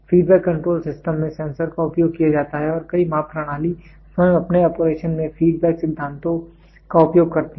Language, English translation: Hindi, Sensors are used in feedbacks, sensors are used in feedback control systems and many measurement systems themselves use feedback principles in their operation